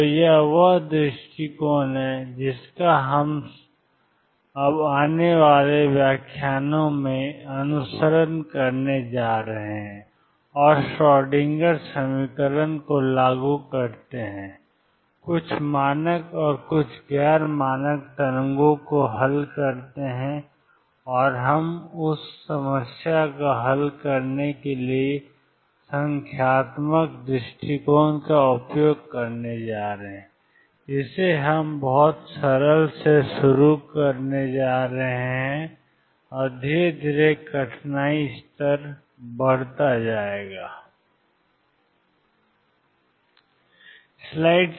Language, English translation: Hindi, So, this is the approaches that we are going to now follow in the coming lectures and apply Schrodinger equations solve problems some standard and some non standard wave, we are going to use numerical approach to solve the problem we are going to start with very simple problems and slowly increase the difficulty level